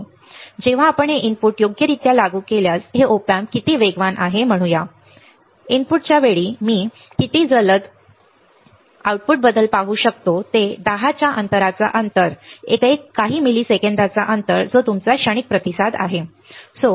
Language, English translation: Marathi, How fast when I when I g, let us say these Op amp if I apply the input right, at the time of the input that I apply how fast may I see the change in the output right is the lag of 10 seconds lag of 1 second lag of few milliseconds that is your transient response that is a transient response right